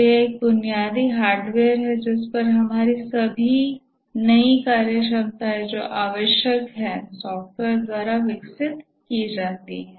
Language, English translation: Hindi, So there is a basic hardware on which all our new functionalities that are required are developed by software